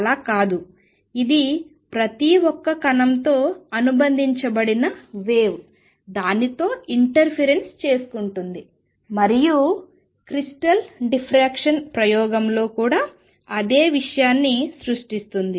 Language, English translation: Telugu, No, it is the wave associated with each particle single particle that interference with itself and creates a pattern same thing in the crystal diffraction experiment also